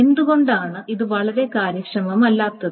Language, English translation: Malayalam, Why is this highly inefficient